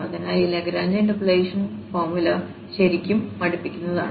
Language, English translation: Malayalam, So, this Lagrange interpolation formula becomes really tedious